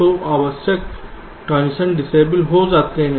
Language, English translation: Hindi, so unnecessary transitions are disabled